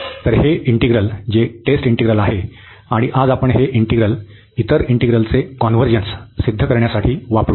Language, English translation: Marathi, So, this integral which is the test integral, and today we will use this integral to prove the convergence of other integrals